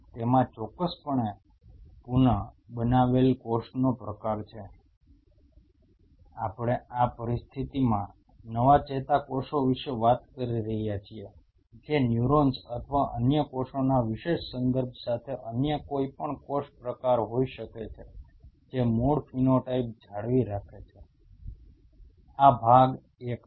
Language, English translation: Gujarati, It has the regenerated cell type with a special of course, we are talking about new neurons in this situation, which could be any other cell type with a special reference to neurons or other cells retained the original phenotype this is part one